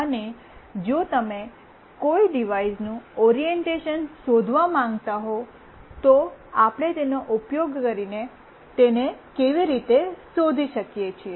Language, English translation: Gujarati, And if you want to find out the orientation of a device how we can find it out using this